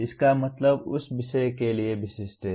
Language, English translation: Hindi, That means specific to that subject